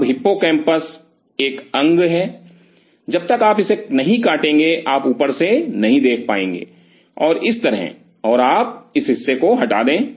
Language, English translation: Hindi, Now hippocampus is an organ, you would not be able to see from the top unless you cut it like this and you remove this part